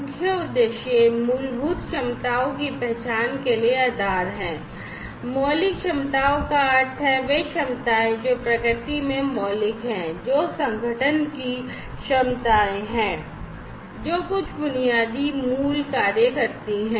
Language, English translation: Hindi, The key objectives are basis for the identification of fundamental capabilities, fundamental capabilities means the capabilities, which are fundamental in nature, which are the abilities of the organization to perform certain basic core functions